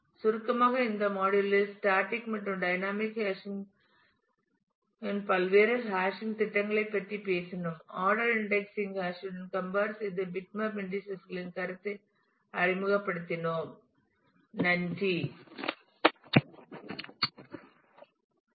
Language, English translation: Tamil, In this module to summarize we have talked about various hashing schemes static and dynamic hashing, compared the order indexing with hashing and introduced the notion of bitmap indices